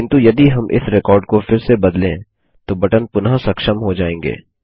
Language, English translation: Hindi, But if we edit this record again, then the button gets enabled again